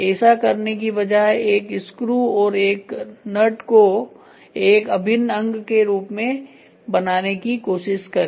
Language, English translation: Hindi, Rather than doing it try to make the nut and the screw as an integral part